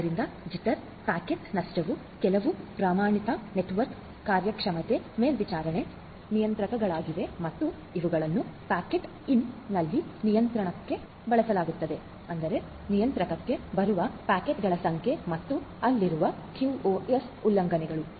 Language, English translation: Kannada, So, jitter, packet loss is a some of the standard network performance monitoring parameters and these will be used plus for at the controller in the packet in; that means, the number of packets that are coming to the controller and the QoS violations that are there so, all of these will be measured and will be shown